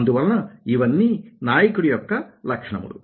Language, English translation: Telugu, so these are the qualities of a leader